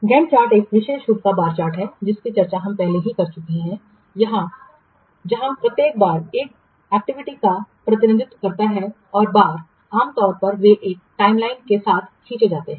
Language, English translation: Hindi, A GAN chart is a special type of bar chart that we have already discussed where each bar represents an activity and the bars normally they are drawn along a timeline